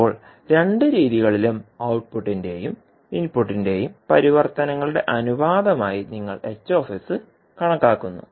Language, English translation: Malayalam, Now, in both methods you calculate H s as the ratio of output at output to input transform